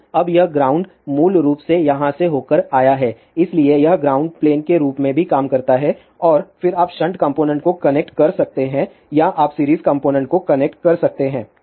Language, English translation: Hindi, So, now, this ground is basically come through over here ; so, this also acts as a ground play and then you can connect shunt component or you can connect series component